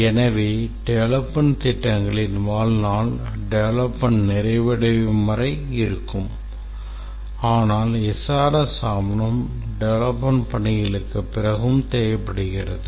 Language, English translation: Tamil, So, the lifetime of the development plans are till the development completes but the SRS document out leaves that and SRS document should not include development plans